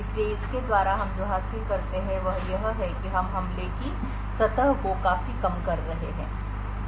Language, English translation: Hindi, So, what we achieve by this is that we are drastically reducing the attack surface